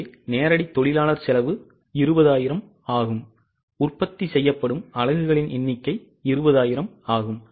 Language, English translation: Tamil, So, direct labour cost is same which is 20,000 and number of units to be produced are 20,000